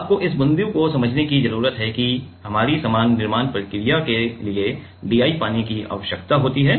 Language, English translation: Hindi, You need to understand this point that DI water is required for our usual fabrications process